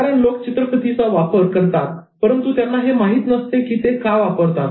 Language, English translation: Marathi, Because people use visuals, but then they do not know why they are using it